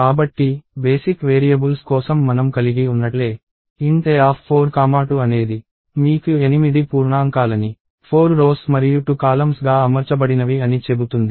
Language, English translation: Telugu, So, just like what we have for basic variables, int A of 4, 2 tells you that, you want 8 integers arranged as 4 rows and 2 columns